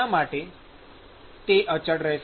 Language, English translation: Gujarati, Why will it be constant